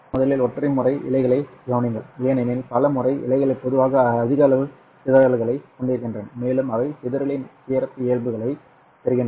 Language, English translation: Tamil, Consider first the single mode fibers because multi mode fibers are typically having larger amount of dispersion and they are obtaining the characteristic of the dispersion is also slightly complicated